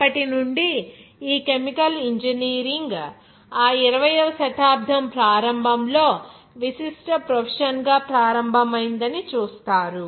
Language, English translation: Telugu, And from then onwards will see that this chemical engineering begins as a distinguished profession at the start of that 20th century